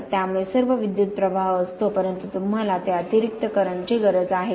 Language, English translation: Marathi, They contain all the current, but do you need that extra current